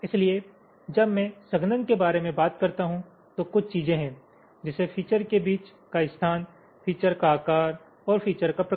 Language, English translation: Hindi, fine, so when i talk about compaction there are a few things: space between the features, size of the features and shape of the features